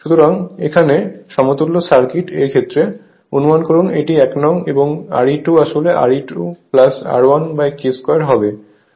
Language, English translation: Bengali, So, assume equivalent circuit, referrer to this 1 then R e 2 actually will be R 2 plus R 1 upon K square right